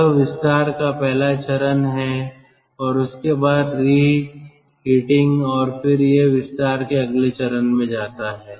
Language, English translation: Hindi, this is the first stage of expansion, then reheating, then the next stage of expansion